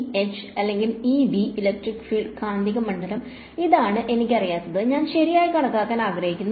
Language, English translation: Malayalam, E and H or E and B, electric field magnetic field this is what I do not know and I want to calculate right